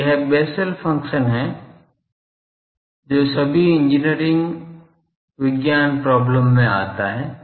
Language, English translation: Hindi, So, this is the Bessel function which comes in all engineering science problems